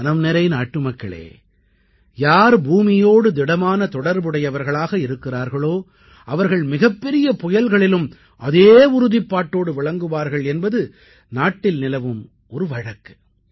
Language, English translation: Tamil, My dear countrymen, it is said here that the one who is rooted to the ground, is equally firm during the course of the biggest of storms